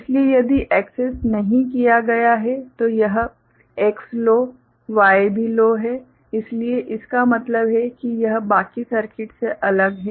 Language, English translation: Hindi, So, if not accessed means this X is low, Y is also low so that means, this is isolated from the rest of the circuit